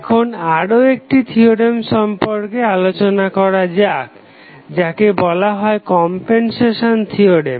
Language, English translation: Bengali, Now, let us talk about another theorem, which is called as a compensation theorem